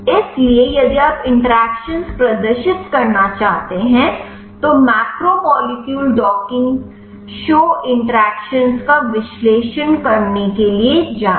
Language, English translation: Hindi, So, if you want to display the interactions, then go to analyze macromolecule docking show interactions